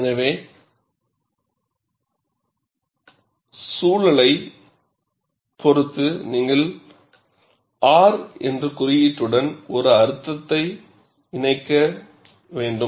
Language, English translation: Tamil, So, depending on the context, you should attach a meaning to the symbol R